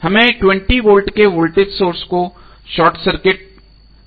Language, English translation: Hindi, We have to short circuit the 20 volt voltage source